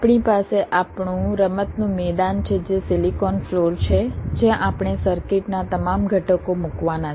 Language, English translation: Gujarati, we have our play ground, which is the silicon floor, where we have to lay out all the circuit components